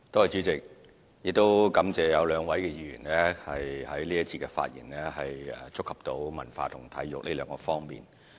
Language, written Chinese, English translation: Cantonese, 主席，感謝有兩位議員在這一節的發言觸及文化及體育兩方面。, President I thank the two Members for speaking on culture and sports in this debate session